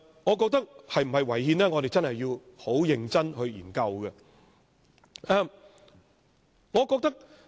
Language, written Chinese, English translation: Cantonese, 我覺得我們必須認真研究修訂是否違憲。, I believe a serious study on the constitutionality of the amendment is a must